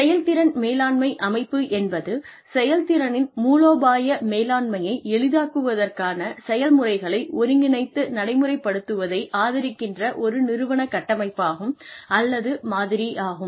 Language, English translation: Tamil, Performance management system is an organizational framework or model, that supports the integration and implementation of processes to facilitate the strategic management of performance